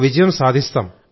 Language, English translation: Telugu, And we will win